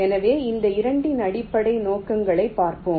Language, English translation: Tamil, ok, so let see the basic objectives of this two